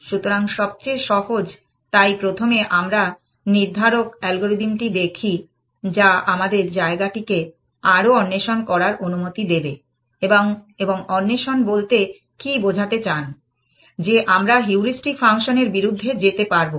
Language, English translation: Bengali, So, the simplest, so first let us look at the deterministic algorithm, which will allow us to explore more of the space and what do you mean by explores, that we are allowed to go against the heuristic function